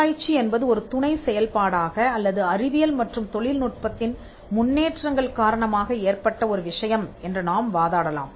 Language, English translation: Tamil, Research one can argue, came up as a subsidiary function or as a thing that came up because of the advancements in science and technology